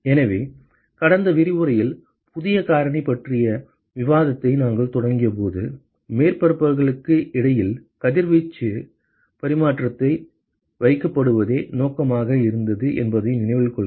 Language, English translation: Tamil, So, recall that when we initiated discussion on new factor in the last lecture, the objective was to characterize radiation exchange between surfaces